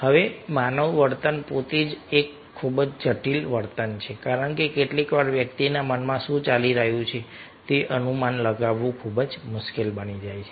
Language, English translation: Gujarati, now, human behavior itself is a very complex behavior because, ah, at times it becomes very difficult to guess what is going on in the mind of the person